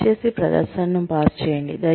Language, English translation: Telugu, Please, pause the presentation